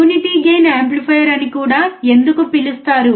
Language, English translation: Telugu, Why it is also called a unity gain amplifier